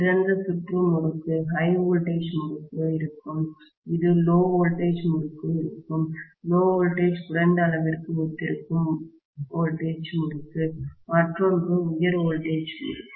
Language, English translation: Tamil, The open circuited winding will be HV winding, whereas this will be LV winding, LV corresponds to low voltage winding, the other one is high voltage winding